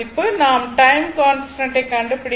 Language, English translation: Tamil, So, you can easily compute your time constant right